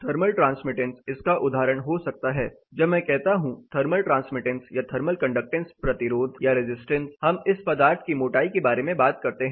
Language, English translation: Hindi, Say an example can be thermal transmittance, when I say thermal transmittance or thermal conductance, resistance, we talk about material in it is thickness